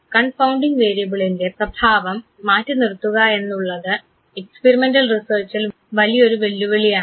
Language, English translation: Malayalam, And passing out the effect of the confounding variable is again a major challenge in experimental research